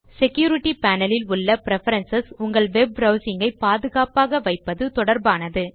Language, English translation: Tamil, The Security panel contains preferences related to keeping your web browsing safe